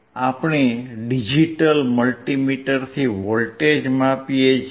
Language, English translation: Gujarati, We can measure voltage with your digital multimeter